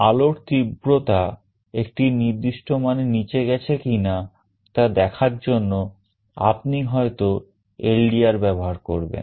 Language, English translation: Bengali, ou may be using the LDR to check whether the light intensity has fallen below a threshold